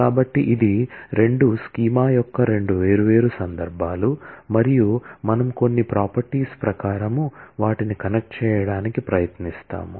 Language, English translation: Telugu, So, it is two different instances of two schemas and we try to connect them according to certain properties